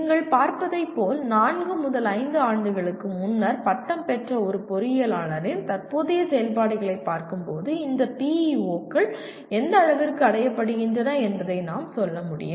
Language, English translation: Tamil, As you can see, looking at the present activities of an engineer who graduated four to five years earlier we will be able to say to what extent these PEOs are attained